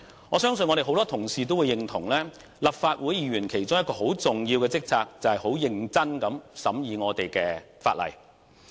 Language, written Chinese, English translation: Cantonese, 我相信多位同事也認同，立法會議員其中一項重要職責，就是認真地審議法例。, I believe many Honourable colleagues will agree that it is one of the major responsibilities of Legislative Council Members to scrutinize legislation seriously